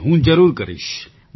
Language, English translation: Gujarati, Yes, I certainly will do